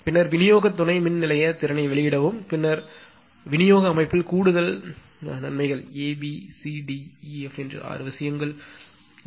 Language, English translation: Tamil, Then release distribution substation capacity, then number 4 additional advantages in distribution system A, B, C, D, E, F four six things are there